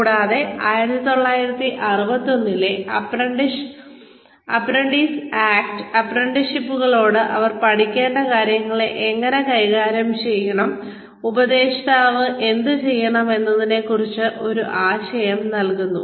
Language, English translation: Malayalam, And, apprentices act 1961, gives an idea of, how the apprentices should be treated what they should learn and, what the mentor should be doing